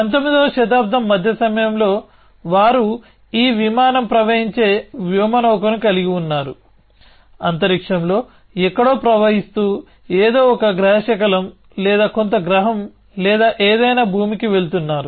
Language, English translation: Telugu, Sometime in the mid 19th, they had this aircraft flowing spacecraft, flowing somewhere in space going to earth some asteroid or some planet or something